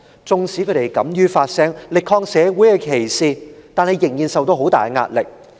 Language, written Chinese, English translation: Cantonese, 縱使他們敢於發聲，力抗社會的歧視，但仍然受到很大壓力。, They still encounter great pressure even though they have the courage to speak up for themselves against social discrimination